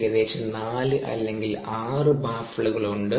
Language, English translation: Malayalam, typically there are about four or six baffles